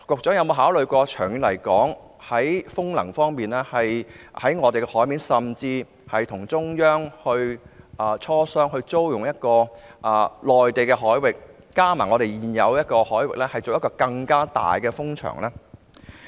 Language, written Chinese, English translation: Cantonese, 此外，在風能方面，局長有否考慮與中央磋商，可否租用內地海域，以便在本港海域及內地海域建設一個更大的風場？, In respect of wind energy has the Secretary considered negotiating with the Central Government about the possibility of renting Mainland waters for the construction of a larger wind farm within Hong Kong waters and Mainland waters?